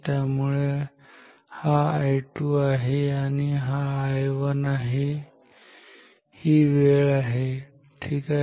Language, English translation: Marathi, So, this is I 2 this is I 2 and this is I 1 this is time ok